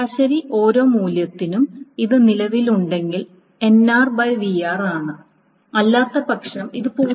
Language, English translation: Malayalam, So roughly on an average for every value this is NR if it exists otherwise it is 0